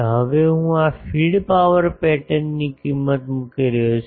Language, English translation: Gujarati, Now, I am putting the value of this feed power pattern